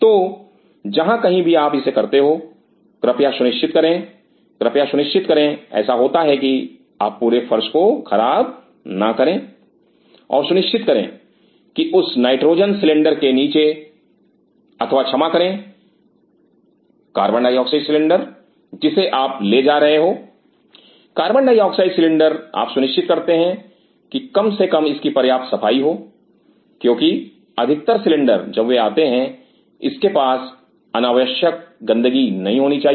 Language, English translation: Hindi, So, whenever you do it please ensure, please ensure this is happened that you do not spoil the whole floor and ensure that underneath that nitrogen cylinder or sorry carbonate oxide cylinder what you are carrying co 2 cylinder you ensure that at least its clean enough it should not cause un necessary mess around because most of the cylinders when they come